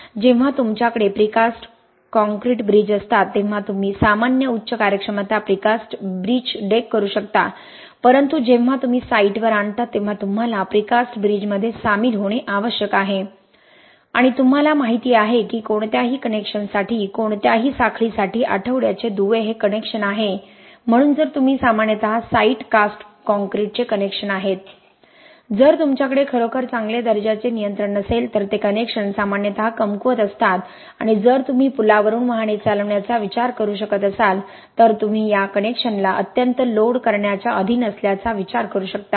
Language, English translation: Marathi, When you have precast concrete bridges you can do normal high performance precast bridge decks but when you bring on to the site you need to join the precast bridges right and as you know for any connection, for any chain the week links is a connection so if you have those connections which are normally site cast concrete if you donÕt have really good quality control those connections are normally weak and these connections if you if you can think of vehicles driving through a bridge you can think of these connections being subjected to extreme fatigue loading right